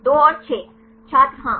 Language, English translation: Hindi, 2 and 5 yeah 2 and 5 yes